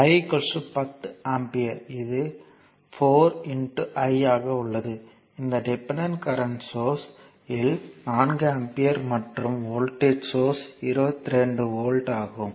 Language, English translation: Tamil, And I is equal to your 10 amperes so, it is 4 into I so, 4 ampere and voltage across this your dependent current source is 22 volt